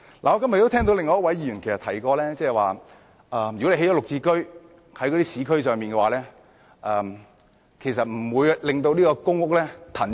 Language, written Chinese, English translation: Cantonese, 我今天聽到另一位議員提到如果在市區興建"綠置居"單位，其實不會騰出一些公屋單位。, Today I have heard another Member say that the construction of GSH flats in the urban areas actually will not release PRH flats